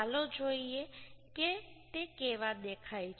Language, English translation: Gujarati, Let us see how it looks